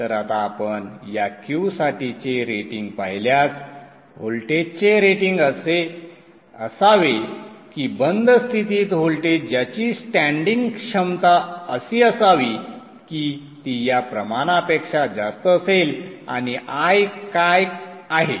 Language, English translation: Marathi, So, now if you look at the rating for this Q, the voltage should be such that the offstate voltage with standing capability should be such that the offstate voltage with standing capability should be such that it is greater than this quantity